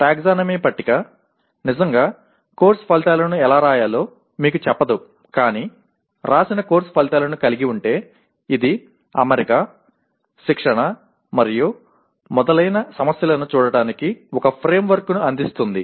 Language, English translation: Telugu, Taxonomy table really does not tell you how to write Course Outcomes but having written Course Outcomes it will kind of, it provide a framework for looking at the issues of alignment, tutoring and so on